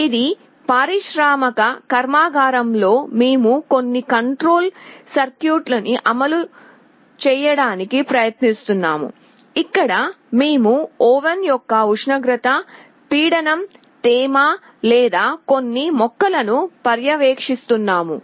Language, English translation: Telugu, Let us say, in an industrial plant we are trying to implement some control circuitry, where we are monitoring the temperature, pressure, humidity of a oven or some plant